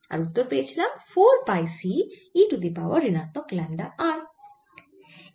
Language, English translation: Bengali, this came out to be four pi c e raise to minus lambda r times